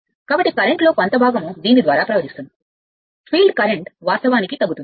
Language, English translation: Telugu, So, part of the current can be flowing through this field current will you will will decrease right